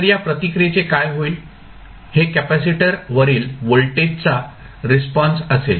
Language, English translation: Marathi, So, what will happen the responses this would be the response for voltage at across capacitor